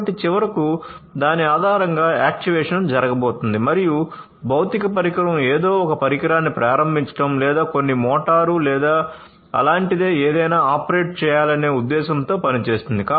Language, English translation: Telugu, So, finally, based on that the actuation is going to happen and the physical space will be actuated with the intention of you know starting some device or operating some, you know, some motor or anything like that